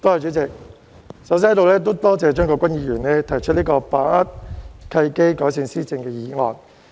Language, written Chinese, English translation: Cantonese, 主席，我首先感謝張國鈞議員提出題為"把握契機，改善施政"的議案。, President first of all I thank Mr CHEUNG Kwok - kwan for moving the motion entitled Seizing the opportunities to improve governance